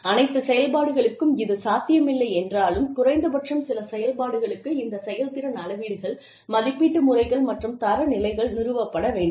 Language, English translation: Tamil, So, if it is not possible for all functions, then at least for some functions, these performance measurements, methods of assessment and standards, should be established